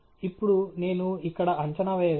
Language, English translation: Telugu, And now, I can make the prediction here alright